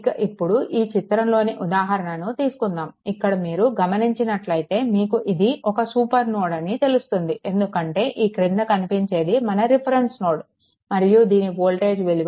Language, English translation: Telugu, And so now, this example; your what you call this is actually taken, it is a supernode because this is your this is your reference node this row and its voltage is v 0 is equal to 0